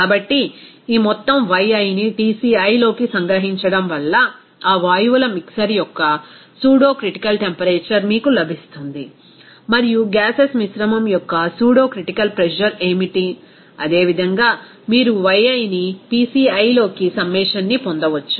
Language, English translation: Telugu, So, the summation of all this Yi into Tci will give you that pseudocritical temperature of that mixer of gases and also what is that pseudocritical pressure of the mixture of the gases similarly you can have the summation of Yi into Pci